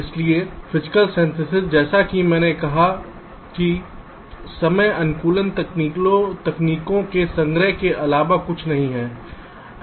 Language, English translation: Hindi, so physical synthesis, as i have said, is nothing but collection of timing optimization techniques